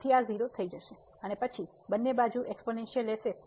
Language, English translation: Gujarati, So, this will become 0 and then taking the exponential of both the sides